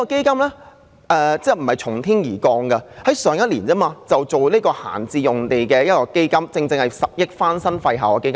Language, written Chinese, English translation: Cantonese, 這基金並非從天而降，因政府去年也成立了處理閒置用地的基金，撥出10億元翻新廢置校舍。, The fund does not descend from heaven as the Government had set up last year the fund for disposal of idle sites allocating 1 billion for renovation of abandoned school premises